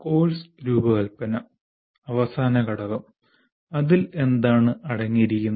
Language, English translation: Malayalam, Now coming to the course design, the last component, what does it consist of